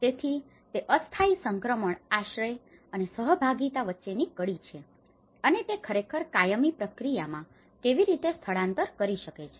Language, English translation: Gujarati, So, that is the link between the temporary transition shelter and with the participation and how it can actually make shift into the permanent process